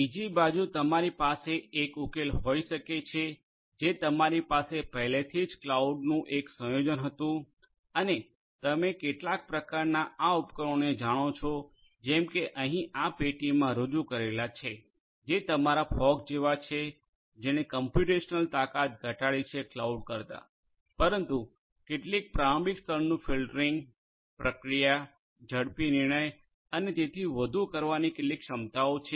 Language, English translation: Gujarati, On the other hand you could have a solution which is a combination of your whatever you already had the cloud and some kind of you know these devices like these boxes over here which are representationally shown, which will be like your you know fog which will have reduced capacities computational capacities then the cloud, but have certain capacities for doing some preliminary level filtering, processing, faster, you know decision making and so on right